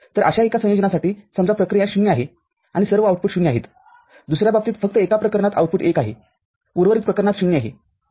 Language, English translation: Marathi, So, for one such combination say a function is 0 that is all the outputs are 0 in another case only one case output is one rest of these cases are 0